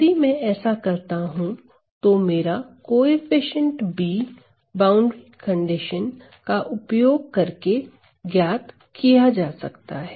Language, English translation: Hindi, Now, if I do that my B, my coefficient B is to be calculated using my boundary conditions that I have described